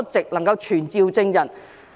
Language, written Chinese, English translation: Cantonese, 它能夠傳召證人。, It can summon witnesses